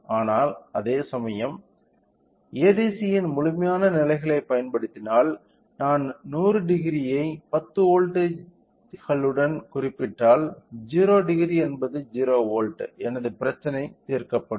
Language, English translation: Tamil, But, whereas, if to utilise the complete levels of ADC, if I represent 100 degrees with 10 volts so, whereas, 0 degree with 0 volts my problem would be solved